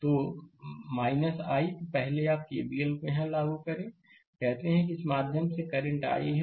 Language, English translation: Hindi, So, first you apply your K V L here say current flowing through this is i